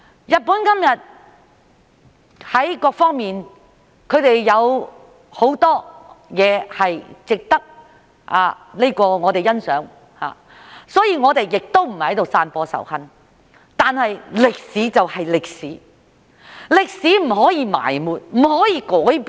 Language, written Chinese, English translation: Cantonese, 日本今天在各方面，有很多都值得我們欣賞，所以我們並非在散播仇恨，但歷史就是歷史，歷史不可以埋沒、不可以改變。, Today there are many things about Japan which warrant our appreciation . Hence we are not inciting hatred . Nonetheless history is history